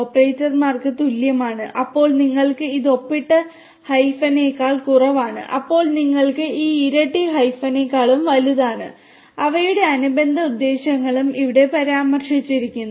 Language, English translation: Malayalam, Operators like equal to, then you have this less than signed hyphen, then you have this double less than hyphen and hyphen greater than and their corresponding purposes are also mentioned over here